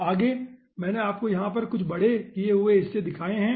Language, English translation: Hindi, next, i have shown you some enlarge portion over here